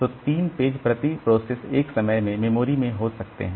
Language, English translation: Hindi, So, the three pages can be in memory at a time per process